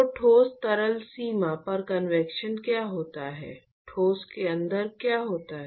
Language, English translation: Hindi, So, what occurs is the convection at the solid liquid boundary, what happens inside the solid